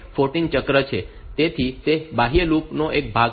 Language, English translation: Gujarati, So, that is a part of the outer loop